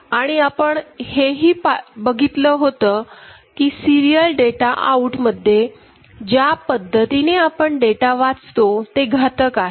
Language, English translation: Marathi, And we also noted that for serial data out, the way we read the data, in such case as such is destructive